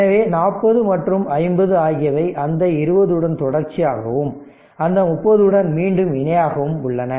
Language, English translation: Tamil, So, I have just put directly that 40 and 50 are in parallel with that 20 is in series and along with that 30 ohm again in parallel